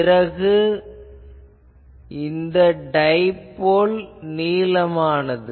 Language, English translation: Tamil, Then the dipole is long